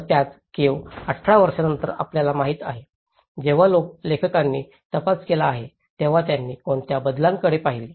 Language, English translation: Marathi, So, the same caves 18 years after, you know, when the authors have investigated, so what changes they have looked at